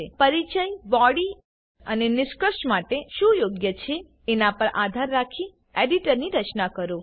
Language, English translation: Gujarati, Structure the edit based on what is appropriate for introduction, body and conclusion